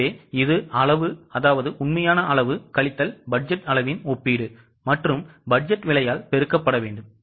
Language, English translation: Tamil, So, it's a comparison of quantity, actual quantity minus budgeted quantity and we multiply it by budgeted price